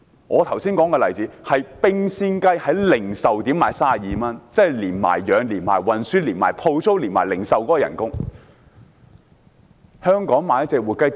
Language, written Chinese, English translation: Cantonese, 我剛才所說的例子，是冰鮮雞在零售點可以賣32元，而成本是包括飼養、運輸、鋪租和售賣員的工資。, In the example that I just mentioned a chilled chicken can be sold at 32 at a retail stall and the cost covers rearing transportation renting a stall and the wages of the stall keeper